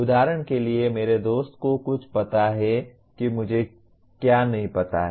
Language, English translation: Hindi, For example my friend knows something about what I do not know